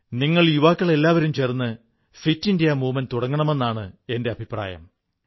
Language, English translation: Malayalam, In fact, all you young people can come together to launch a movement of Fit India